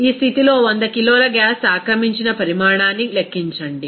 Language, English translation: Telugu, In this condition, calculate the volume occupied by 100 kg of the gas